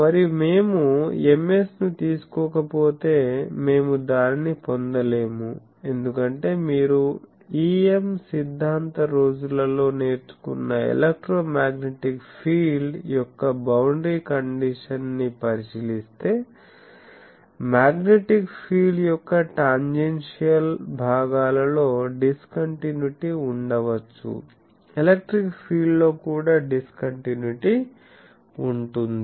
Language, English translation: Telugu, And you see that if we do not take Ms, we cannot get because in the if you look at the boundary condition of the electromagnetic field that we have learned in our EM theory days; that there can be discontinuity in the tangential component of magnetic field, there can be discontinuity in electric field also